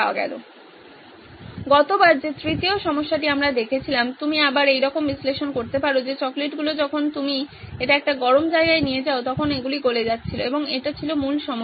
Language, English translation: Bengali, The third problem that we looked at last time again you can do the analysis similar to that is the chocolates are melting when you take it to a hot place and that was the main problem